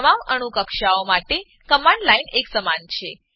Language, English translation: Gujarati, The command line is same for all atomic orbitals